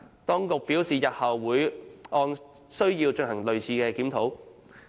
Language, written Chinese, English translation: Cantonese, 當局表示日後會按需要進行類似檢討。, The Administration has advised that similar reviews will be conducted in future as and when necessary